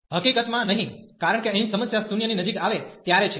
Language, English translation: Gujarati, In fact, not to a because the problem here is when is approaching to 0